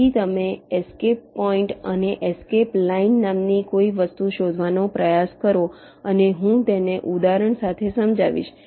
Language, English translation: Gujarati, so you try to find out something called escape point and escape line, and i will explain this with example